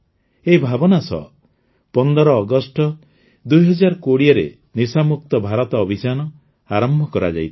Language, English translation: Odia, With this thought, 'NashaMukt Bharat Abhiyan' was launched on the 15 August 2020